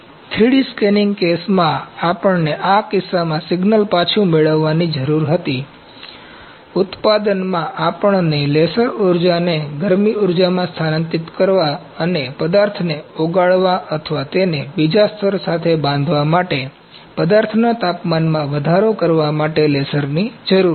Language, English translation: Gujarati, In the 3D scanning case, we needed to get the signal back in we this case in manufacturing we needed the laser to be absorbed to transfer the laser energy to heat energy and to melt the material or to rise the temperature of the material to get it bonded with the other layer